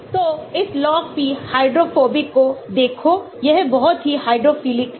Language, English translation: Hindi, So, look at this log p hydrophobic this is very hydrophilic